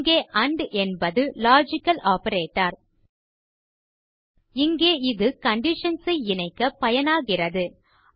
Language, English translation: Tamil, Here AND is called a logical operator, and here it serves to combine conditions